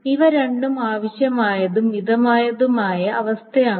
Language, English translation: Malayalam, So this is both a necessary and sufficient condition